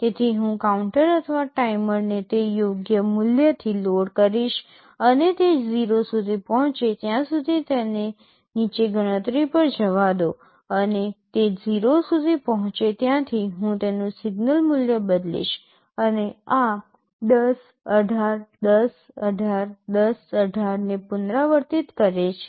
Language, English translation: Gujarati, So, I will be loading the counter or the timer with that appropriate value and let it go on counting down till it reaches 0, and as soon as it reaches 0, I change the value of the signal and this repeats 10, 18, 10, 18, 10, 18